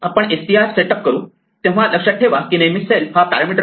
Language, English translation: Marathi, We set up str, so remember that self is always a parameter